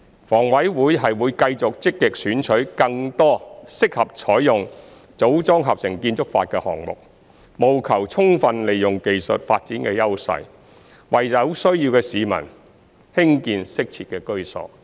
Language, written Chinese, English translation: Cantonese, 房委會會繼續積極選取更多適合採用"組裝合成"建築法的項目，務求充分利用技術發展的優勢，為有需要的市民興建適切的居所。, HA will continue to actively select more projects suitable for adopting MiC with a view to fully leveraging on the advantages of technological development to construct adequate housing for people in need